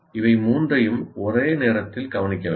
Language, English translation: Tamil, All the three need to be addressed at the same time